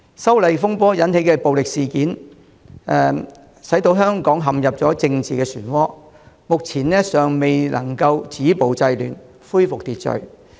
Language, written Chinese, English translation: Cantonese, 修例風波引起的暴力事件，使香港陷入政治旋渦，目前尚未能止暴制亂，恢復秩序。, The violent incidents triggered by the legislative amendment row have dragged Hong Kong into a political whirlpool and the attempts to stop violence and curb disorder and to restore order have not yet been successful